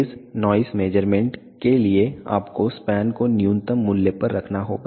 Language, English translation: Hindi, For phase noise measurements you have to keep the span to the lowest value possible